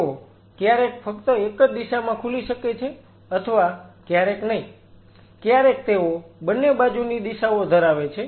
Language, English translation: Gujarati, They may only open in one direction or they may not they may have both directionalities